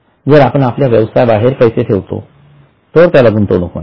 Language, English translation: Marathi, So if you put in some money outside your business it is called as an investment